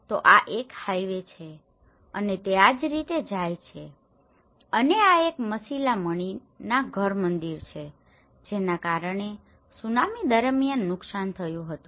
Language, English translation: Gujarati, So, this is the highway and it goes like this and this is a Masilamani nadhar temple which caused damage during the tsunami